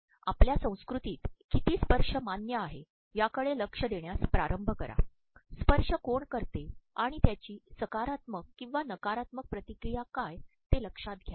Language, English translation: Marathi, Start paying attention to the amount of touching that is acceptable in your organizations culture, notice who the touches are and the positive or negative responses they